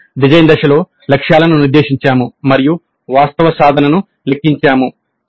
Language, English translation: Telugu, We have set the targets during the design phase and now we compute the actual attainment